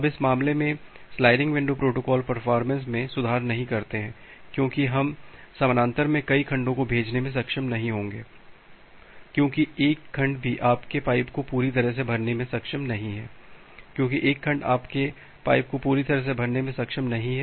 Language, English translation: Hindi, Now in this case, the sliding window protocols do not improve performance because why because we will not be able to send multiple segments in parallel even one segment is not able to fill up the your pipe completely; because one segment is not able to fill up your pipe completely